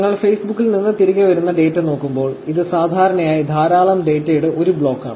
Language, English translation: Malayalam, When you look at the data that is coming back from Facebook, it is generally a block of data; it is just a lot of data that comes back